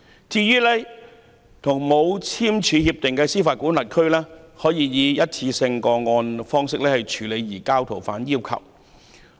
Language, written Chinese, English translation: Cantonese, 至於沒有簽署協定的司法管轄區，可以以單一個案方式處理移交逃犯要求。, As for jurisdictions that have not signed such agreements there are case - based requests for surrender of fugitive offenders